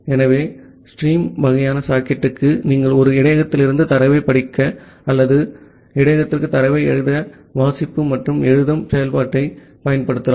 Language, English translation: Tamil, So, for the stream kind of socket, you can use the read and the write function to read data from a buffer or to write data to a buffer